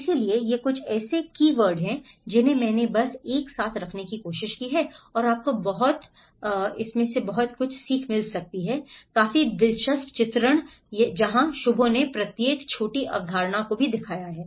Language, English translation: Hindi, So, these are some of the keywords I just tried to put it together and you might have find a very interesting diagrammatic illustrations where Shubho have showed each of the small concept